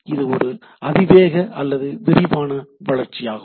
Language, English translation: Tamil, It is a exponential or expansive